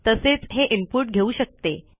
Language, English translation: Marathi, It can take an input